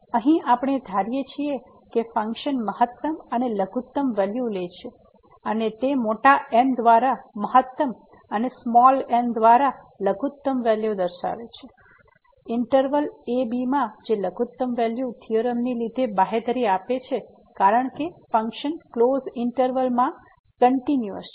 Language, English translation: Gujarati, So, here we assume that the function takes the maximum and the minimum value and they are denoted by big as maximum and small as minimum in this interval , which is guaranteed due to the extreme value theorem because the function is continuous in the closed interval